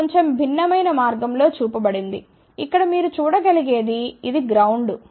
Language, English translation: Telugu, It is just shown slightly a different way you can see here this is ground this is ground